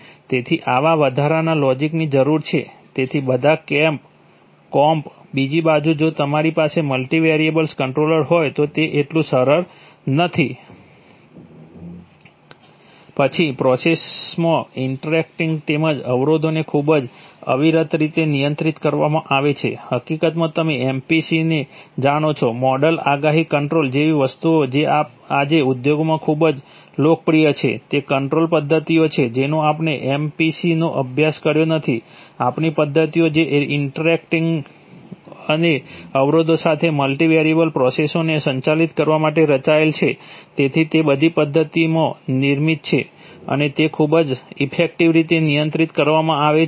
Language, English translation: Gujarati, So such logic, such additional logic is required, so all the comp, it is not that simple, on the other hand if you have multivariable controllers, then in process interactions as well as constraints are handled very seamlessly, actually things like you know MPC, model predictive control which are very popular in the industry today, are, control methods we did not study MPC, our methods which are designed to handle multivariable processes with interactions and having constraints, so they are all built in into the method and they are handled very efficiently